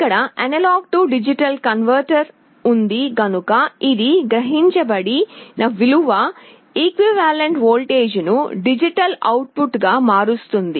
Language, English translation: Telugu, And here you have the A/D converter which will be converting the voltage that is equivalent to the sensed value into a proportional digital output